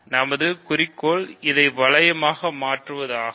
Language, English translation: Tamil, So, my goal is to make this ring